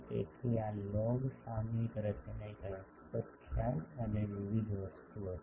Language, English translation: Gujarati, So, this log periodic structure is was an interesting concept and various thing